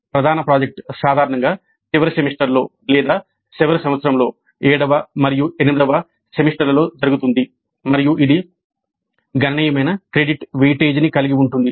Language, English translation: Telugu, The major project is usually done either in the final semester or in the final year that is both seventh and eight semester together and it has substantial credit weightage